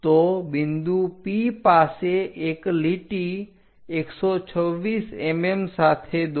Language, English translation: Gujarati, So, draw a line at point P with 126 mm